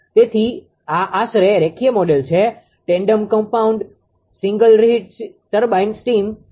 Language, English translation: Gujarati, So, this is approximate linear model for tandem compound single reheat steam turbine